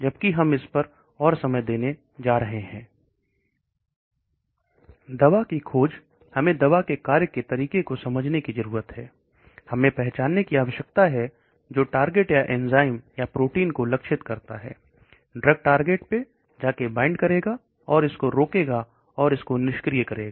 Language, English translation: Hindi, So the drug discovery we need to understand the mechanism of action, we need to identify the target which target or enzyme or protein, it is going to go and bind to, and inhibit it or inactivate it